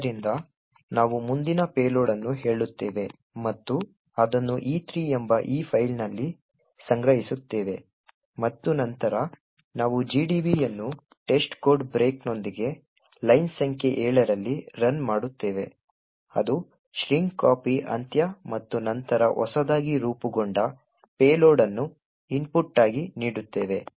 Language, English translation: Kannada, So, we say next payload and store it in this file called E3 and then we run GDB with test code break at line number 7 which comprises which is end of string copy and then run giving the newly formed payload as the input